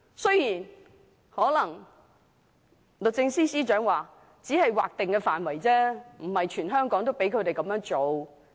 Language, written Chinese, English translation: Cantonese, 雖然律政司司長可能會說，他們只能在劃定範圍內，而非全香港這樣做。, The Secretary for Justice might say they can do so only in designated areas not Hong Kong in its entirety